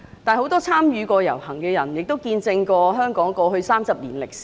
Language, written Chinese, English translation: Cantonese, 很多參與過那次遊行的人，也見證了香港過去30年的歷史。, Many people who joined that march have witnessed Hong Kongs history in the past 30 years